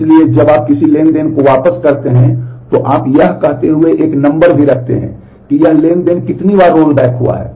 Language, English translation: Hindi, So, when you roll back a transaction, you also keep a number saying that how many times this transaction has been rolled back